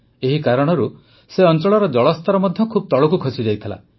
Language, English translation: Odia, Because of that, the water level there had terribly gone down